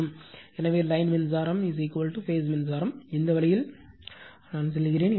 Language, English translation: Tamil, So, line current is equal to phase current, this way I am telling you